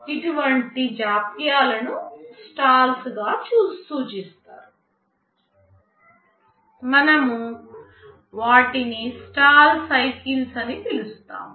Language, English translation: Telugu, Such delays are referred to as stalls; we call them stall cycles